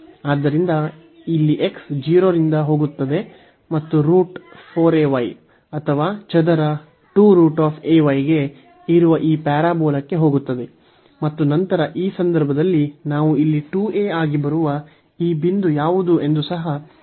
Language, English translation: Kannada, So, for this x here x goes from 0 x goes from 0 and to this parabola which is a square root this 4 a y or square to square root a y and then in this case we have to also see what is this point here which will come as 2 a into 0